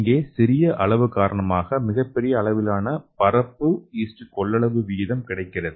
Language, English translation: Tamil, And here the small size allows a larger and more beneficial surface area to volume ratio